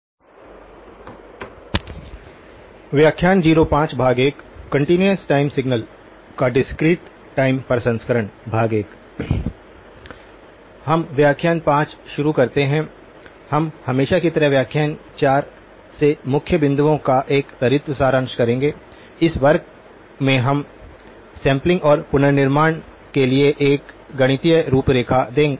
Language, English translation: Hindi, We begin lecture 5, we will as always do a quick summary of the key points from lecture 4, this class we will look at a mathematical framework for sampling and reconstruction